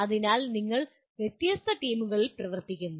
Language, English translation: Malayalam, So you are working in diverse teams